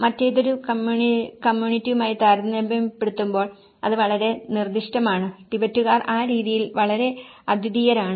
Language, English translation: Malayalam, And that is very specific compared to any other communities; the Tibetans are very unique on that manner